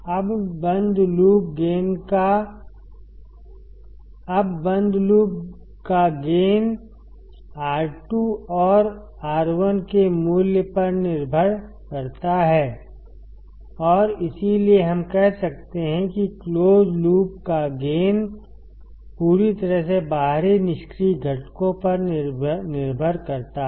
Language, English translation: Hindi, Now closed loop gain depends on the value of R 2 and R 1 and that is why we can say that the close loop gain depends entirely on external passive components